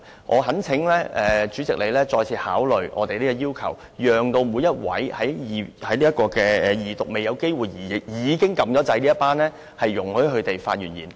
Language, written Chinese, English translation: Cantonese, 我懇請主席再次考慮我們的要求，容許每一位在二讀辯論階段時已按下"要求發言"按鈕，但仍未有機會發言的議員發言。, I implore you President to reconsider our request and allow every Member who pressed the Request to Speak button at the Second Reading debate stage and has not yet had a chance to claim the floor